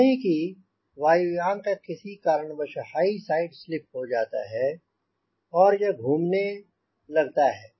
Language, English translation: Hindi, suppose a airplane, because of some reason, has gone into high side slip could be, it has made an entry into spin